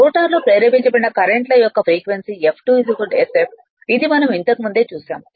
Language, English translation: Telugu, Frequency of induced your what you call your currents induced in the rotor is F2 is equal to sf this we have seen